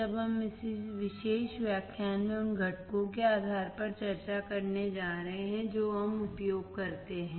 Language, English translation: Hindi, When we are going to discuss in this particular lecture based on the components that we use